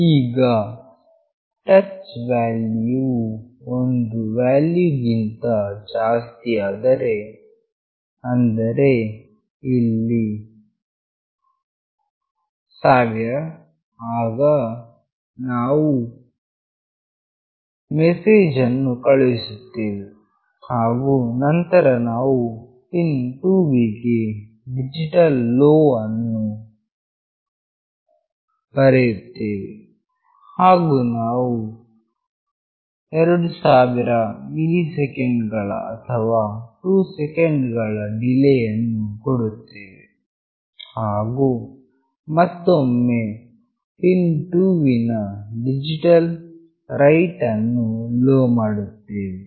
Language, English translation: Kannada, Now if the touch value is greater than some value, that is 1000 here, then we send the message, and then we are writing digital LOW to pin 2, and we provide a delay of 2000 milliseconds or 2 seconds and then again we digital write pin 2 to LOW